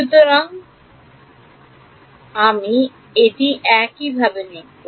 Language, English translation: Bengali, So, that is how I will write this